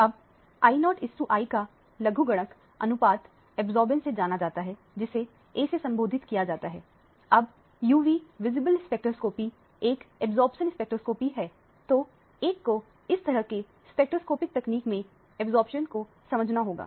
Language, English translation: Hindi, Now the logarithmic ratio of the I0 by I is known as the absorbance, indicated by the symbol A, now UV visible spectroscopy is an absorption spectroscopy so one who has to deal with the absorbance in this type of spectroscopic technique